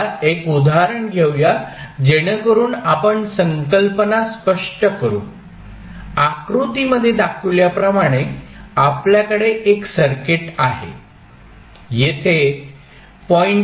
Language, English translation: Marathi, Now, let us take one example so that we can clear the concept, let say we have one circuit as shown in the figure, here one inductor of 0